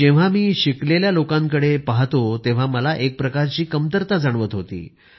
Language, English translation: Marathi, When I see educated people, I feel something amiss in me